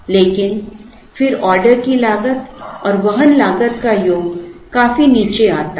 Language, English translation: Hindi, But, then the sum of the order cost and carrying cost comes down significantly